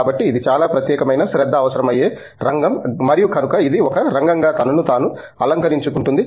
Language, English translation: Telugu, So, that’s an area that requires a lot of specialized attention and so it is kind of grooming itself into area by itself